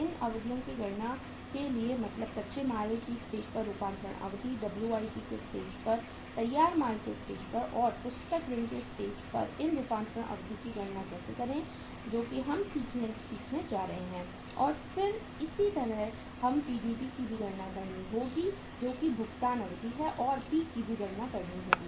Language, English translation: Hindi, For calculation of these periods or for calculation of these durations means conversion period at the stage of raw material, at the stage of WIP, at the stage of finished goods, and at the stage of book debt how to calculate these conversion periods that is now we are going to learn and then is the similarly we have to calculate the PDP also that is payment deferral period and that P also has to be calculated